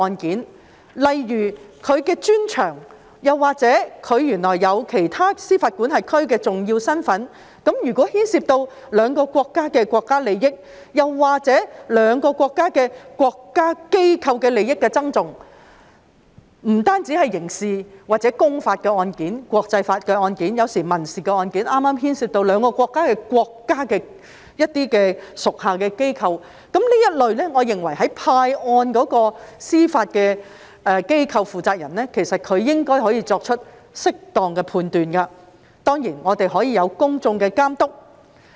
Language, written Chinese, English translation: Cantonese, 舉例來說，如有關法官的專長——原來他擁有其他司法管轄區的重要身份，那麼牽涉兩國國家利益，又或是兩國國家機構的利益的爭訟，不單是刑事、公法案件、國際法案件或民事案件，還是牽涉兩國屬下機構的這一類案件，我認為在派案時，司法機構負責人應可作出適當判斷，當然亦可有公眾監督。, For instance if the judge concerned is specialized in―it turns out that if he is holding an important position in other jurisdiction then for contentious proceedings involving the national interests of the two countries or the interests of state organs of the two countries be it criminal cases public law cases international law cases or civil cases as well as cases involving the institutions of the two countries I think the person - in - charge of the judiciary should be able to make a proper judgment in assigning cases . Certainly there may be public supervision